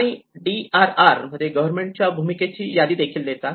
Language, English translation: Marathi, And they also list out the government roles in DRR